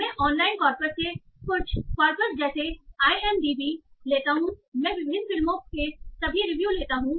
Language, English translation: Hindi, So I take some corpus from online corpus, say IMDB, I take all the reviews from different movies